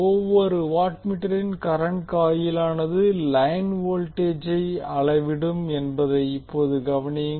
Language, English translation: Tamil, Now notice that the current coil of each watt meter measures the line current